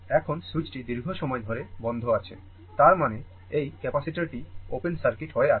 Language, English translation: Bengali, Now, switch is closed for long time; that mean this capacitor is open circuited, right